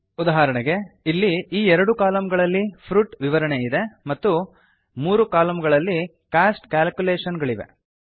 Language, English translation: Kannada, For example, here these two columns have fruit details and these three have cost calculations